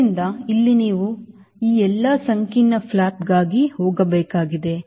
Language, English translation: Kannada, you have to go for all this complicated flaps right